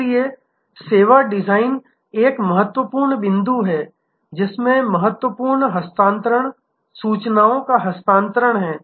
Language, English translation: Hindi, So, service design is an important point there are material transfer, they are information transfer